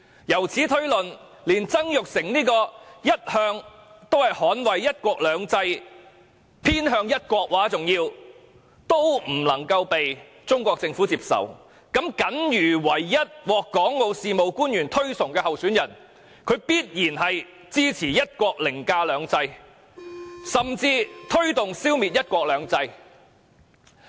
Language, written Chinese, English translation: Cantonese, 由此推論，連一向捍衞"一國兩制"甚至偏向一國的曾鈺成都不為中國政府所接納，那麼僅餘唯一獲港澳事務官員推崇的候選人，必然是支持"一國"凌駕"兩制"，甚或推動消滅"一國兩制"。, We can thus assert that if someone like Jasper TSANG who has all along defended one country two systems and probably tilted towards one country is not accepted by the Chinese Government then the only candidate whom officials overseeing Hong Kong and Macao affairs would recommend is definitely someone who supports the overriding of one country over two systems or even advocates the abolition of one country two systems